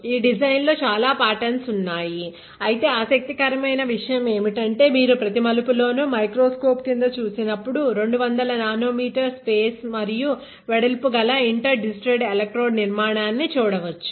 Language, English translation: Telugu, There are lots of twists and turns on this design but the interesting thing is that when you look it under the microscope at every turn, you can see an inter digitated electrode structure of 200 nano meter spacing and width; that is the precision